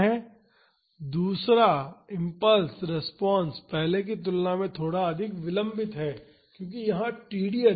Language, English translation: Hindi, The second one, the second impulse response is little bit more delayed compared to the first one, because here td is more